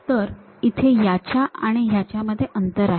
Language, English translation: Marathi, So, there is a gap between this one and this one